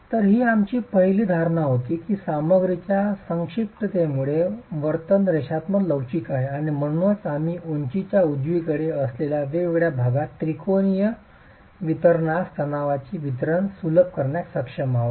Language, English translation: Marathi, So, that was our first assumption that the behavior and compression of the material is linear elastic and that is why we were able to simplify the distribution of stress to a triangular distribution in the, in different sections along the height, right